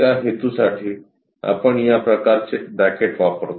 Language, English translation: Marathi, For that purpose, we use this kind of bracket